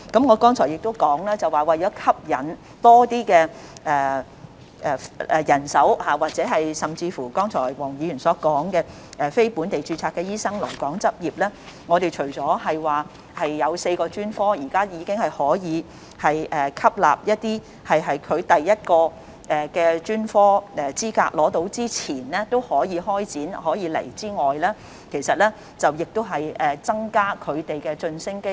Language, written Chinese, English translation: Cantonese, 我剛才亦表示，為了吸引多些人手，尤其是黃議員剛才說的吸引非本地註冊醫生來港執業，我們除了讓4個專科可以吸納一些尚未取得第一個專科資格但已開展有關培訓的醫生來港外，亦增加他們的晉升機會。, I have also said that in order to attract more manpower particularly non - locally registered doctors mentioned by Dr WONG to come and practise in Hong Kong we not only allow four specialties to admit doctors who are yet to acquire their first specialist qualification but have already commenced relevant training but also increase the promotion opportunities for such doctors